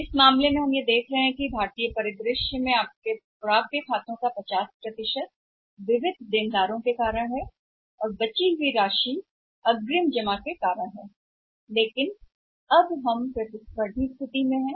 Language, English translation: Hindi, So, in this case we are finding that in Indian scenario 50% of your account receivables are because of sundry debtors remaining some amount is because of Advanced deposits but now we are in a competitive situation